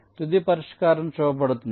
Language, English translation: Telugu, so the final solution is shown